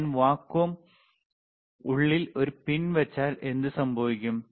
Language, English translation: Malayalam, So, if I put a pin inside the vacuum, what will happen